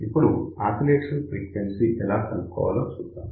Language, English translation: Telugu, So, now let us see how the oscillation frequency can be determined